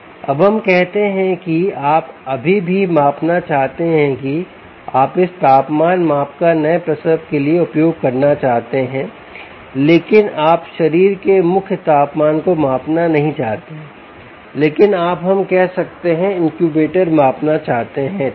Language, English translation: Hindi, now lets say you still want to measure, you want use this temperature measurement for ah um, new natals, but you dont want to measure the core body temperature, but you want to measure the, let us say, the incubator